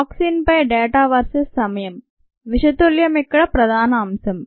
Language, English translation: Telugu, the data on toxin concentration versus time, the toxin is the substrate here